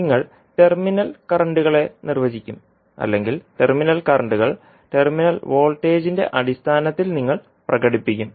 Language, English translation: Malayalam, You will define the terminal currents or you will express the terminal currents in terms of terminal voltage